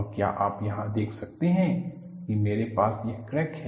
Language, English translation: Hindi, And can you see here, I have this as a crack